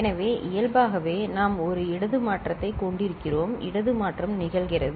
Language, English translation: Tamil, So, inherently in the structure we are having a one left shift left shift occurring